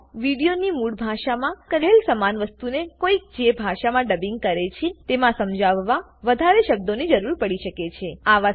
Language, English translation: Gujarati, Sometimes the language in which one is dubbing may need more words to explain the same thing said in the original language of the video